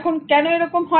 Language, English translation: Bengali, Now, why is it so